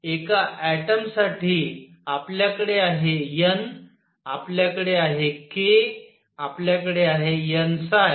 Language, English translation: Marathi, For an atom we have n, we have k, we have n phi